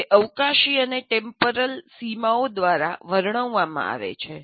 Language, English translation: Gujarati, It is delineated by spatial and temporal boundaries